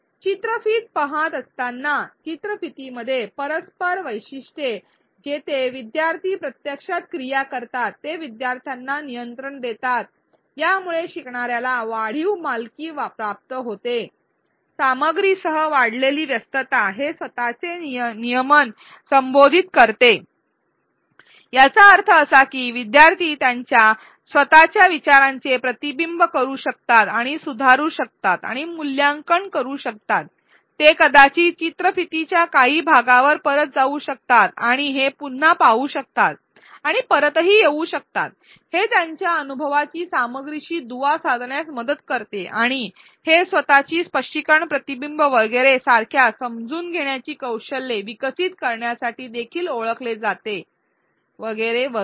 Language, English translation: Marathi, The interactive features within a video where learners actually do activities while the video while they are watching the video, they give student a control and this facilitates increased learner ownership, increased engagement with the content, it addresses self regulation; that means, learners can reflect and modify and evaluate their own thinking, they can maybe go back to some part of the video watch it again and come back, it helps link their experience to the content and it has also been known to develop metacognitive skills such as self explanation reflection and so on